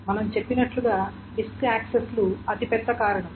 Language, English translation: Telugu, As we said disk access accesses is the biggest factor